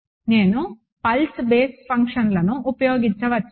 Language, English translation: Telugu, Can I use the pulse basis functions